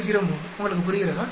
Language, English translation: Tamil, 03 you understand